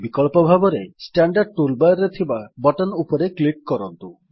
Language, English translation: Odia, Alternately, click on the button in the standard tool bar